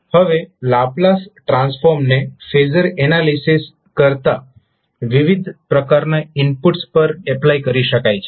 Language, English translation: Gujarati, Now Laplace transform can be applied to a wider variety of inputs than the phasor analysis